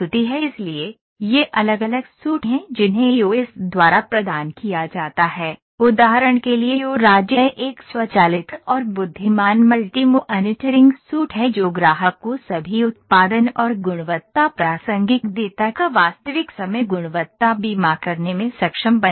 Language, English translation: Hindi, So, these are different suits those are provided by EOS, for instance EO state this one is an automated and intelligent multi monitoring suit that enables customer to conduct a real time quality insurance of all the production and quality relevant data